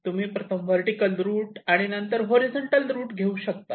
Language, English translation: Marathi, you can either route the vertical on first and then horizontal, or the reverse